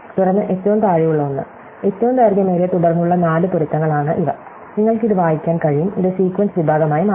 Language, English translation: Malayalam, And then one at the bottom right, these are the four matches which constitute the longest common subsequence and you can read it of that the thing and this is forms the sequence sect